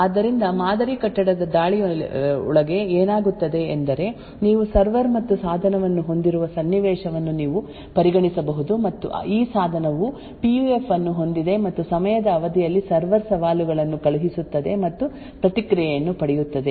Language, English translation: Kannada, So within a model building attacks what happens is that you could consider a scenario where you have a server and a device, and this device has a PUF and the server over a period of time is sending challenges and obtaining response